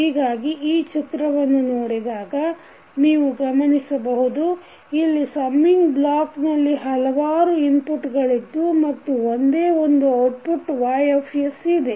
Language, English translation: Kannada, So, if you see this particular figure you will see one summing block you have where you have multiple inputs coming and then you have one unique output that is Ys